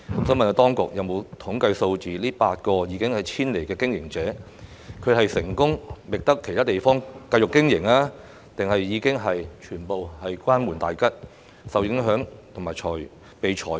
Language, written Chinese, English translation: Cantonese, 請問當局有否備存統計數字，顯示該8個已經遷離的經營者是成功覓得其他地方繼續經營，還是已經全部關門大吉呢？, May I ask whether the authorities have maintained any statistics showing the fate of the eight business undertakings that have already moved out? . Have they succeeded in finding another place to continue with their business? . Or have they all closed down?